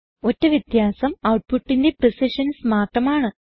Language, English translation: Malayalam, The only difference is in the precisions of outputs